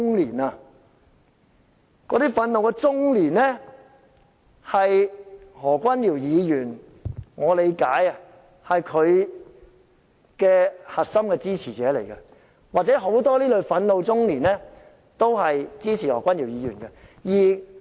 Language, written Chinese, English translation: Cantonese, 據我理解，那些憤怒中年是何君堯議員的核心支持者，或者說很多這類憤怒中年也支持何君堯議員。, As far as I understand these frustrated middle - age people are the core supporters of Dr Junius HO or to put it another way most of them support Dr Junius HO